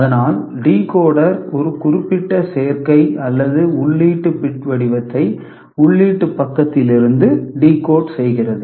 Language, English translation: Tamil, So, decoder decodes a particular combination or input bit pattern, when it is present at the input side